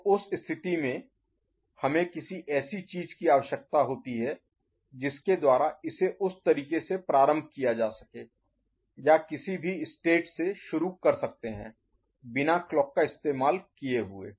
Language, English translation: Hindi, So, in that case we need something by which it can be initialised in that manner ok or some state can be introduced without the application of the clock